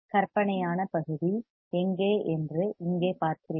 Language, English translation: Tamil, You see here where the imaginary part is is